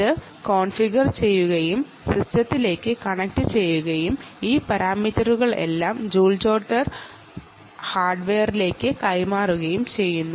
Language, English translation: Malayalam, it configures and then connects to the system and ah essentially passes all these parameters onto the joule jotter, ah piece of hardware